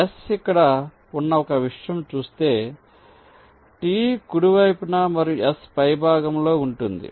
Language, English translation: Telugu, for look at one thing: the s is here, t is to the right and to the top of s